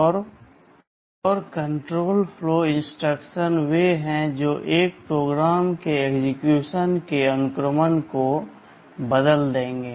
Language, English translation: Hindi, And, control flow instructions are those that will alter the sequence of execution of a program